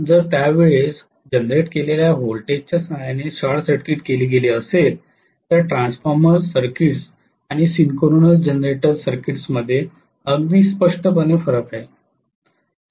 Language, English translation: Marathi, Had it been short circuited with that time of generated voltage, so very clearly there is a huge amount of difference between transformers circuits and synchronous generator circuits